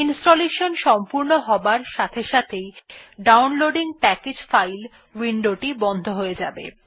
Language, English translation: Bengali, Downloading Package File window will be closed as soon as the installation gets completed